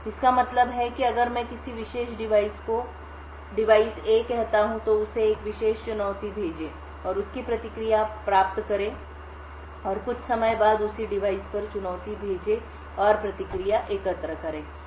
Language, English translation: Hindi, This means that if I take a particular device say device A, send it a particular challenge and obtain its response and after some time send the challenge to the same device and collect the response